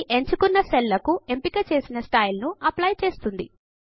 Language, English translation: Telugu, This will apply the chosen style to the selected cells